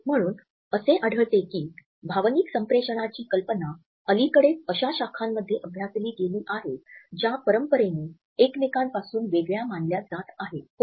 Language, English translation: Marathi, So, we find that the idea of emotion communication has recently expended to those disciplines which were traditionally considered to be distinct from each other